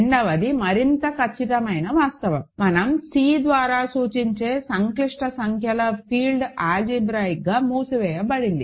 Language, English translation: Telugu, Second is a more concrete fact: the field of complex numbers, which we denote by C, is algebraically closed, ok